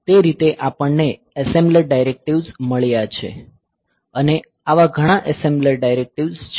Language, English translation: Gujarati, So, that way we have got assembler directives and there are many such assembler directives say